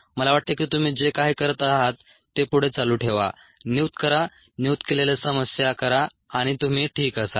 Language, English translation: Marathi, i think you should continue with whatever you are doing: assign, do the problems that are assigned and you should be fine